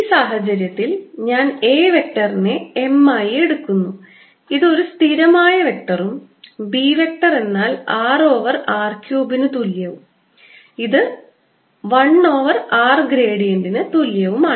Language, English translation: Malayalam, and take my a vector in this case to be m, which is a constant vector, and b vector to be r over r cubed, which is also equal to one over r, gradient of one over r